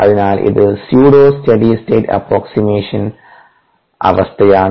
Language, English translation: Malayalam, that is the pseudo steady state of approximation